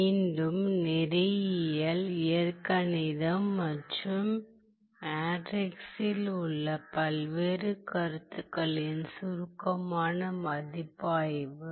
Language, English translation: Tamil, Once again, a brief review of various concepts in linear algebra and matrices